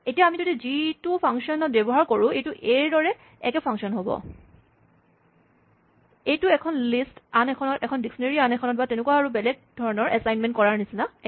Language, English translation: Assamese, So, if you use g in the function, it will use exactly the same function as a, its exactly like assigning one list to another, or one dictionary to another and so on